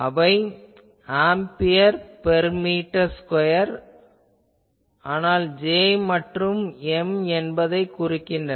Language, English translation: Tamil, They are ampere per meter square; but if J and M represent